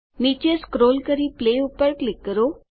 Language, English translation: Gujarati, Scroll down and click Play